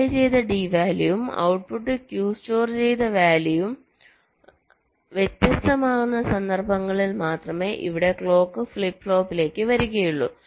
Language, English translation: Malayalam, so here the clock will be coming to the flip flop only for those instances where the applied d value and the output q stored value are different